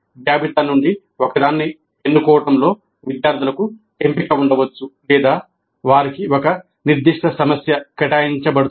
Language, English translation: Telugu, Students may have a choice in selecting one from the list or they may be assigned a specific problem